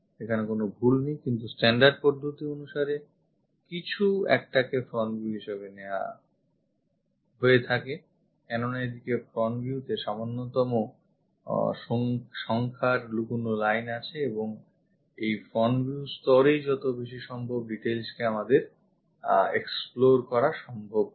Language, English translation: Bengali, There is nothing wrong, but the standard procedure to pick something as ah front view as supposed to have this fewest number of hidden lines and is supposed to explore as many details as possible at that front view level